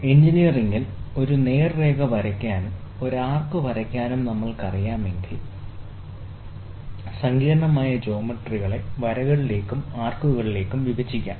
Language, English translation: Malayalam, In engineering, if we know to draw a straight line and draw an arc, right, so then we can split any complicated geometry into lines and arcs